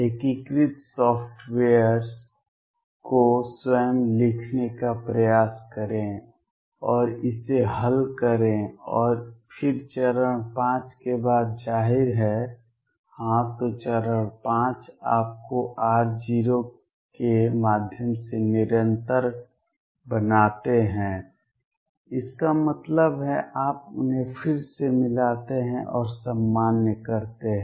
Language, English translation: Hindi, Try to write the integrating software yourself and solve it and then after this step 5; obviously, yes then step 5 make u continuous through r naught; that means, you match them again and normalize